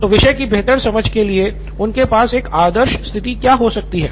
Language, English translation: Hindi, So what could be a ideal situation for them to have this better understanding of the topic